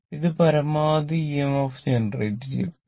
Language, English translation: Malayalam, This is the maximum EMF generated, right